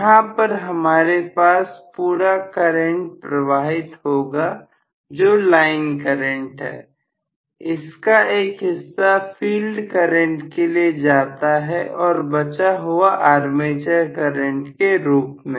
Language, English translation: Hindi, So, this plus, so I am going to have a overall current which is the line current flowing here, part of it goes as field current, rest of it goes as armature current